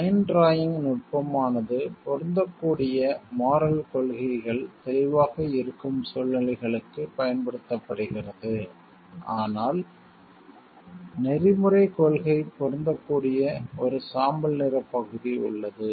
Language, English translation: Tamil, In line drawing technique is used for situations in which the applicable moral principles are clear, but there is a gray area about which the ethical principle applies